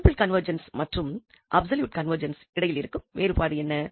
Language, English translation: Tamil, So, what is the difference between a simple convergence and the absolute convergence